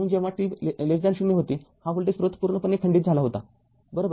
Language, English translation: Marathi, So, when it was t less than 0 this voltage source is completely disconnected, right